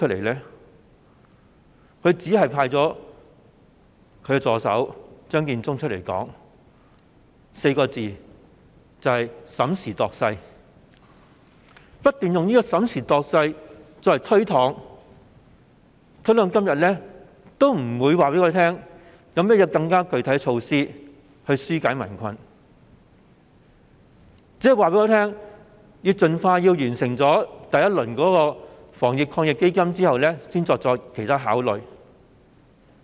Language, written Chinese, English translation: Cantonese, 她只派出助手張建宗以"審時度勢 "4 個字不斷作出推搪，直到今天仍沒有告訴我們有何更具體措施可紓解民困，老是說要盡快完成第一輪防疫抗疫基金計劃，然後再作其他考慮。, Up to the present she has yet to tell us more specifically what measures will be taken to alleviate peoples hardship . She keeps saying that the first round of Subsidy Schemes under the Anti - epidemic Fund must be completed as soon as possible before other considerations can be made